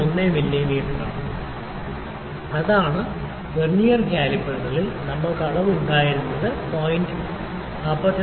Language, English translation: Malayalam, 01 mm that is the reading that we had readings that we had in Vernier calipers were like 44